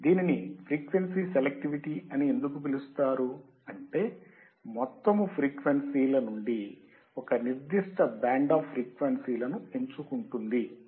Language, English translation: Telugu, It is also called frequency selectivity because you are selecting a particular frequency from the band of frequencies or from the total frequencies